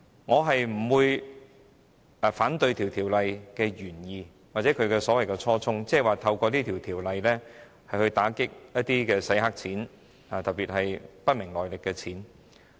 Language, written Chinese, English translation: Cantonese, 我不反對《條例草案》的原意或初衷，即透過《條例草案》打擊洗黑錢，特別是不明來歷的資金。, I do not oppose the original intent of the Bill which is to combat money laundering especially the capital from unknown sources